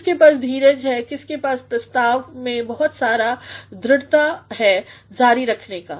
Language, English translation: Hindi, Who has actually got the patience, who has got actually a lot of persistence to continue